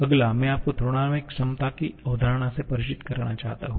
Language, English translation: Hindi, Next, I would like to introduce you the concept of thermodynamic potential